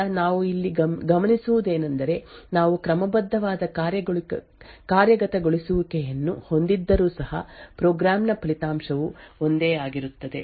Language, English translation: Kannada, So, what we observe here is that even though the we have an out of order execution the result of the program will be exactly the same